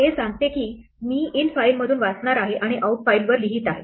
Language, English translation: Marathi, This tells that I am going to read from infile and write to outfile